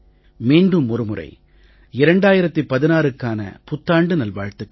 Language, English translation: Tamil, Dear Countrymen, greetings to you for a Happy New Year 2016